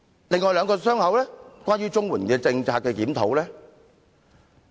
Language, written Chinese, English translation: Cantonese, 另外兩個"傷口"與檢討綜援政策有關。, The two other wounds are related to a review of the CSSA policy